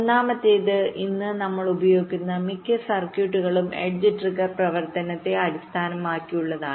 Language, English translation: Malayalam, first is that most of the circuits that we use today there are based on edge trigged operation